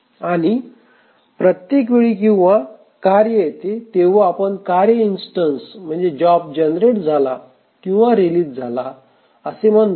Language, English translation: Marathi, And each time a task recurs, we say that an instance of the task or a job has been generated or released